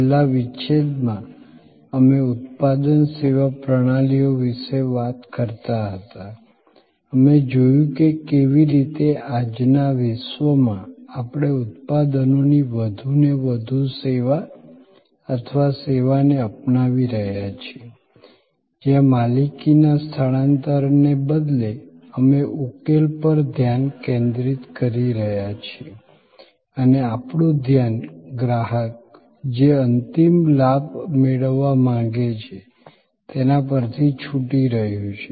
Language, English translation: Gujarati, In the last secession, we were talking about product service systems, we looked that how in today’s world we are adopting more and more servicing or servitizing of products, where instead of transfer of ownership, we are focusing on solution and we are loose focusing on the ultimate benefit that the customer wants to derive